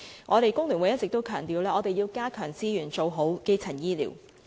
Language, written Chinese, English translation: Cantonese, 香港工會聯合會一直強調要增加資源，做好基層醫療。, The Hong Kong Federation of Trade Unions has always emphasized the need to increase resources and do a proper job of primary healthcare